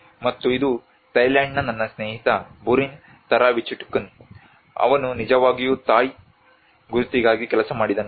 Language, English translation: Kannada, And this is a friend of mine Burin Tharavichitkun from Thailand, he actually worked on the Thai identity